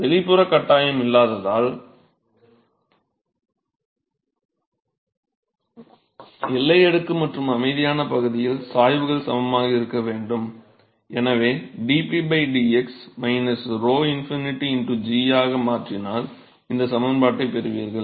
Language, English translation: Tamil, And because there is no external forcing the gradients have to be equal in the boundary layer and the quiescent region and therefore, you replace the dp by dx with minus rho infinity into g and that is how you get this expression